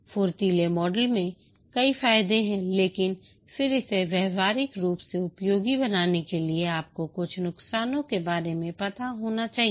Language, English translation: Hindi, The Agile model has many advantages but then to make it practically useful you must be aware of some pitfalls